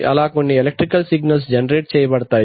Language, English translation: Telugu, So that some electrical signal can be generated